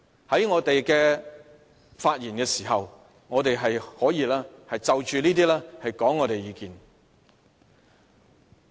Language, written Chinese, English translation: Cantonese, 在我們發言時，我們可以就着這些決定發表意見。, We think we can always express our views on your rulings when we speak